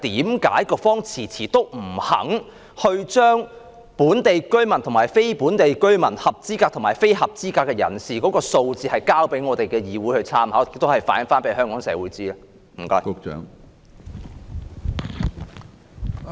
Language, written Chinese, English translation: Cantonese, 為何局方遲遲不肯將本地居民和非本地居民"走數"的分項數字提供給立法會參考，並向香港社會反映？, Why has the Bureau been persistently reluctant to provide a breakdown of the default payments by local and non - local residents for reference of the Legislative Council and for relaying to the Hong Kong community?